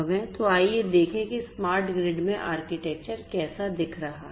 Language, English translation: Hindi, So, let us look at how the architecture is going to look like in a smart grid